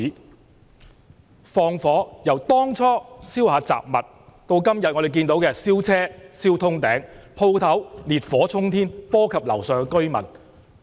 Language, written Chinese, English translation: Cantonese, 他們縱火的行為，由當初燒雜物，到今天我們看到的燒車燒通頂，鋪頭烈燄沖天，波及樓上居民。, Concerning their acts of arson from setting fire to miscellaneous objects in the beginning now we see that cars are completely burnt down and shops set aflame affecting the residents living upstairs